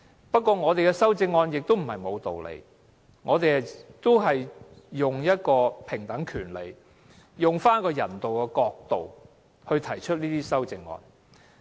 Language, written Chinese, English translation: Cantonese, 不過，我們的修正案也並非沒有道理，我們是以平等權利和人道的角度來提出這些修正案。, However our amendments are not without grounds . We have proposed these amendments from the perspectives of equal rights and humanitarianism